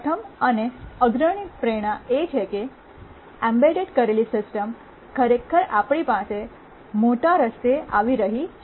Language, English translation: Gujarati, The first and foremost motivation is that embedded systems are coming to us in a really big way